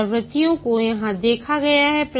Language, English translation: Hindi, The iterations are shown here